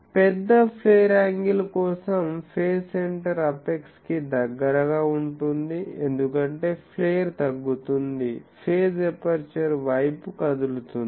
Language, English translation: Telugu, For large flare angle phase center is closer to apex as flaring decreases the phase center moves towards the aperture